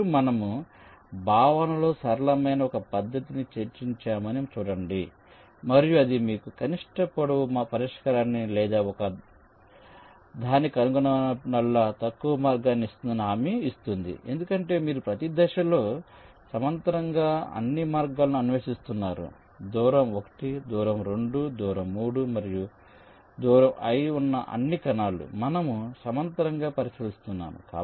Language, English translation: Telugu, now, see, we have ah discussed a method which is simple in concept and also it guarantees that it will give you the minimum length solution or the shortest path whenever it can find one, because you are exploring all paths parallely at each step, ah, distance of one, distance of two, distance of three, all the cells which are at a distance of i we are considering in parallel